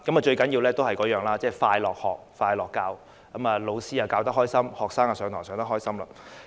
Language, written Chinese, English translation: Cantonese, 最重要的一點，就是快樂學、快樂教——老師開心的教學，學生也能開心的上課。, The most important point is to create joyful classrooms where teachers enjoy teaching and students enjoy learning